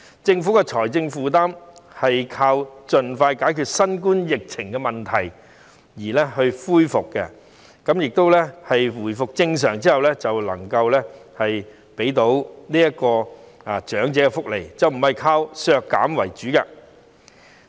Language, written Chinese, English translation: Cantonese, 政府要解決財政負擔的問題，便應該盡快解決新冠肺炎疫情問題，待社會回復正常後能夠提供更多長者福利，而不是要現在削減長者福利。, In order to address the fiscal burden issue the Government should quickly resolve the COVID - 19 problem and provide more elderly welfare when the community is back to normal instead of slashing elderly welfare at this moment